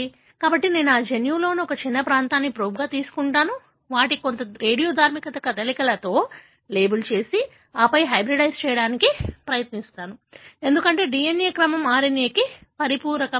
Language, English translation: Telugu, So, I will take a small region of that gene as a probe, label them with certain radioactive moieties and then try to hybridize, because the DNA sequence are complementaryto the RNA